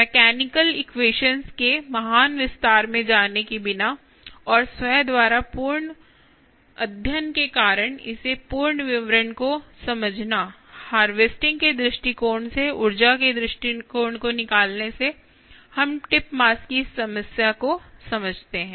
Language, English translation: Hindi, without getting into great detail of you know the mechanical equations and understanding the it complete detail, because of full study by itself from a harvesting perspective, from ah, from extracting energy perspective, let us understand this problem of tip mass